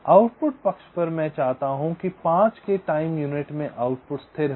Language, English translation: Hindi, from the output side we are saying that, well, at time into of five, i want the output to be stable